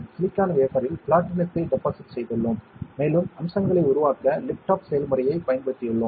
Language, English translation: Tamil, On the silicon wafer, we have deposited platinum and we have used lift off process to make the features